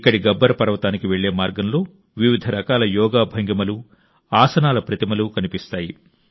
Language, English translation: Telugu, Here on the way to Gabbar Parvat, you will be able to see sculptures of various Yoga postures and Asanas